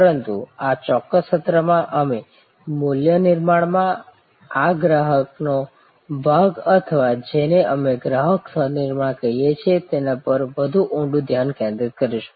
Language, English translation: Gujarati, But, in this particular session we will focus more deeply on this customer involvement in value creation or what we call Customer Co Creation